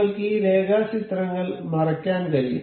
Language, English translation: Malayalam, You can hide that sketches